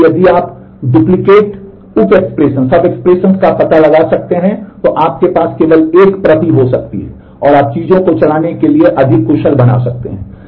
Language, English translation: Hindi, So, if you can detect duplicate sub expressions then you can have only one copy and you can make the things more efficient to run